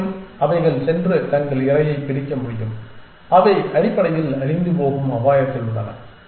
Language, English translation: Tamil, And which they can go and catch their pray they are on the danger of becoming extinct essentially